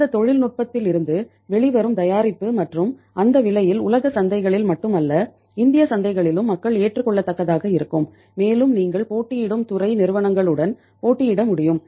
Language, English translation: Tamil, Then you can think of that the product coming out of that technology and at that cost will be acceptable to the people not in the world markets but in the Indian markets also and you would be able to compete with the rival sector companies